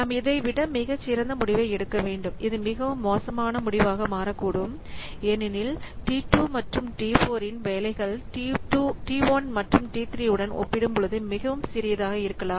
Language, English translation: Tamil, So, it may so happen that we need to take a much better decision and this may be turn out to be a very bad decision because T2 and T4 those tasks may be quite small compared to T1 and T3